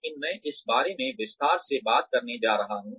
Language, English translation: Hindi, But, I am going to talk about this in detail